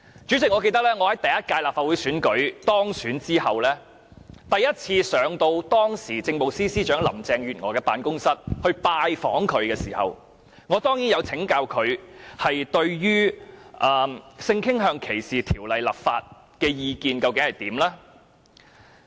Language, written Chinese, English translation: Cantonese, 主席，記得在我首次於立法會選舉當選後，我來到當時的政務司司長林鄭月娥的辦公室向她拜訪時，當然曾請教她對於性傾向歧視條例立法的意見。, President I remember when I was first elected to the Legislative Council I paid a visit to the office of Carrie LAM who was then the Chief Secretary for Administration . I of course asked her to tell me how she looked at the enactment of legislation on discrimination against different sexual orientations